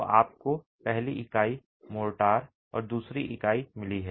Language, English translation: Hindi, So, you've got the first unit, motor and the second unit